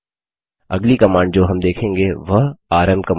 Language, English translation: Hindi, The next command we will see is the rm command